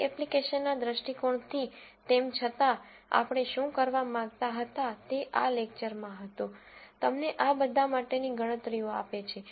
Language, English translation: Gujarati, From your application viewpoint, nonetheless, what we wanted to do was in one lecture kind of, give you the calculations for all of these